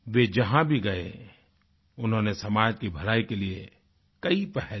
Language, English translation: Hindi, Wherever he went, he took many initiatives for the welfare of the society